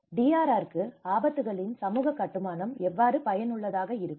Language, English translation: Tamil, How can the social construction of risks be effective for DRR